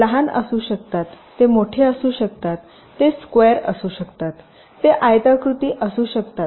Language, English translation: Marathi, they can be small, they can be big, they can be square, they can be rectangular